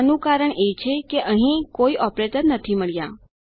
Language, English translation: Gujarati, This is because, there is no operator to be found here